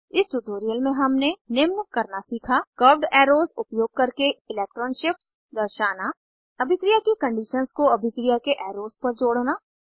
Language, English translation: Hindi, In this tutorial we have learnt to * Show electron shifts using curved arrows * Attach reaction conditions to reaction arrows